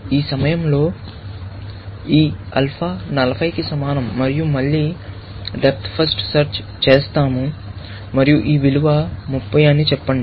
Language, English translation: Telugu, At this point, this alpha is equal to 40 and again, we do depth first search, and let us say then, this value is 30